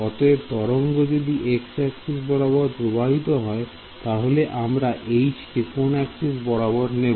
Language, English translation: Bengali, So, which way if the wave is travelling along x, we will take H to be along which direction